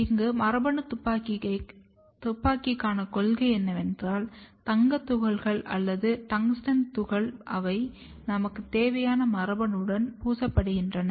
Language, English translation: Tamil, Here the principle for gene gun is that, the gold particles or the tungsten particle they are coated with the gene of interest